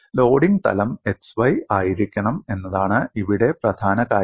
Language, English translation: Malayalam, The key point here is loading should be in the plane x y